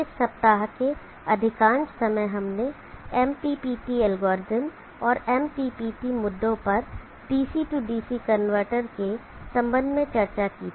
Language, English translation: Hindi, Most of this week, we had discussed on the MPPT algorithm and the MPPT issues with respect to the DC DC converter